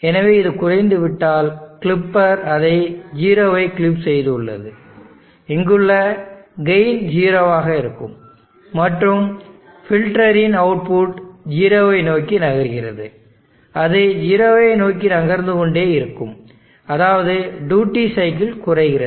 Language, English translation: Tamil, So once this becomes low the clipper has clipped it 0, the gain here that would also be 0, and the output of the filter is moving towards 0, it will keep on moving towards 0, which means the duty cycle is decreasing